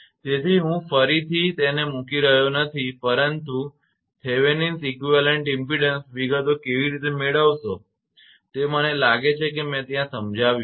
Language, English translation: Gujarati, So, here I am not putting it again right, but Thevenin equivalent impedance how to obtain details I think I explained there